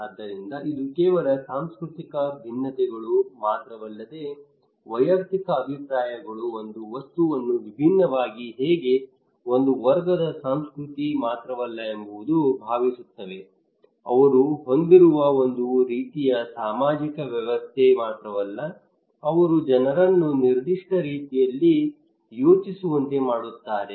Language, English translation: Kannada, So it is not only cultural differences but also individual personal differences for a role that how people think it was one object differently not only one category of culture not only one kind of social system they have, they groom people to think in particular way but also individual because of several other reasons they have their own mind